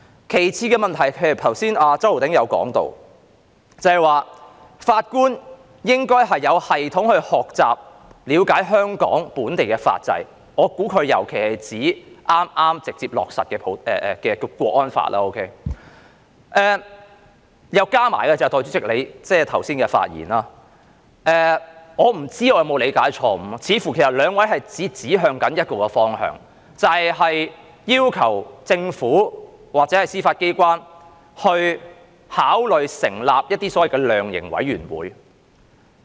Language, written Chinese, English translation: Cantonese, 其次的問題是，周浩鼎議員剛才提到，法官應該有系統地學習和了解香港本地法制，我估計他尤其是指剛剛直接落實的《香港國安法》，再加上代理主席剛才的發言，我不知道有否理解錯誤，似乎兩位也是指向同一方向，就是要求政府或司法機關考慮成立所謂的量刑委員會。, Another problem is that as Mr Holden CHOW said earlier judges should learn and get to know the legal system of Hong Kong in a systematic manner . I guess he was particularly referring to the Hong Kong National Security Law which has just been implemented directly . Also from the remarks that you Deputy President made earlier on and while I wonder if I have got it wrong it seems that both of you are aiming at the same direction of asking the Government or the Judiciary to consider establishing a so - called sentencing commission